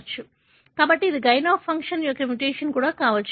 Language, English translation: Telugu, So, it also can be a gain of function mutation